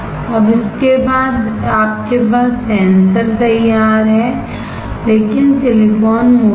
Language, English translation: Hindi, Now, after this you have the sensor ready, but the silicon is thick